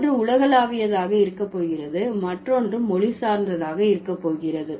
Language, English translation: Tamil, So, one is going to be universal, the other one is going to be language specific